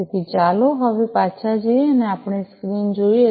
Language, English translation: Gujarati, And so let us now go back and look at our screen